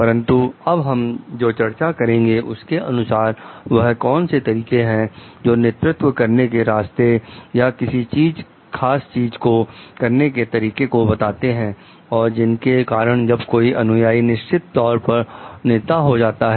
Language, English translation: Hindi, But now, what we will be discussing like, what are the ways of leading or doing particular things, so that when the follower graduates to be the leader